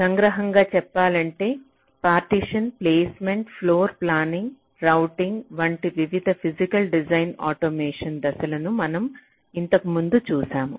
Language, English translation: Telugu, we have earlier looked at the various physical design automations steps like partitioning, placement, floorplanning, routing and so on